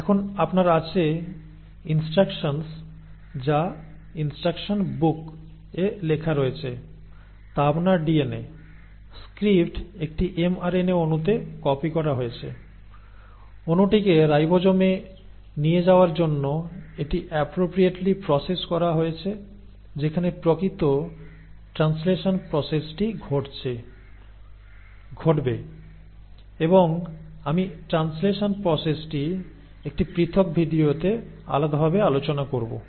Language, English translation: Bengali, So now you have; whatever was written, the instructions which are written in the instruction book which is your DNA; has been, the script has been copied into an mRNA molecule, the molecule has been appropriately processed to further take it out to the ribosome where the actual process of translation will happen, and I will cover that process of translation separately in a separate video